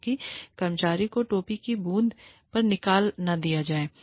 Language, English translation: Hindi, So, that the employee, is not fired, at the drop of a hat